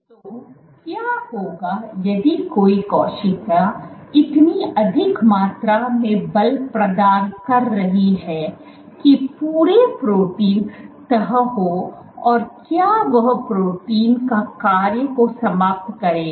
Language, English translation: Hindi, So, what if a cell is exerting so much force that the entire protein folds will that be the end a function of that protein or not